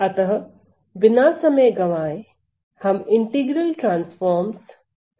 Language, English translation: Hindi, So, without waiting much let us start the ideas of integral transform